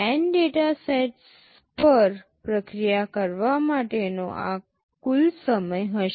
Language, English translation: Gujarati, This will be the total time to process N data sets